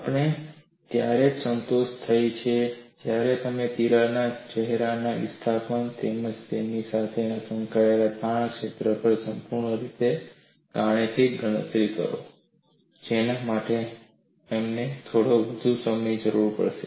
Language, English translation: Gujarati, We can be satisfied only when you do the mathematical calculation completely on the displacements of the crack phases, as well as the stress feel associated with it, that would require some more time for us to do that